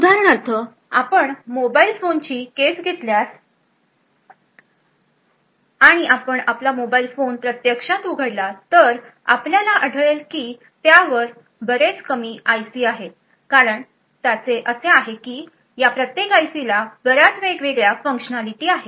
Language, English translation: Marathi, So for example if you take the case of a mobile phone and you actually open up your mobile phone you would see that there are very few IC’s present on it and the reason being is that each of this IC’s have a lot of different functionality